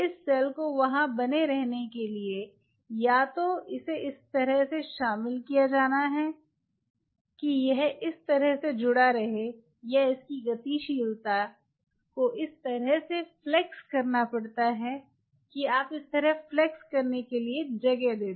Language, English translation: Hindi, in order for this cell to remain there, either it has to be inducted in such a way that it kind of adhere there, or its mobility has to be flexed in such a way that you give it a linear window to